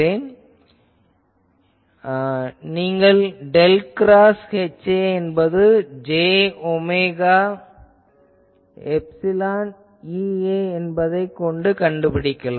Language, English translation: Tamil, So, you can find del cross H A is equal to j omega epsilon E A